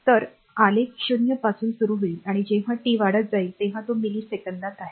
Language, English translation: Marathi, So, graph starts from 0 and right and when your when t is increasing it is in millisecond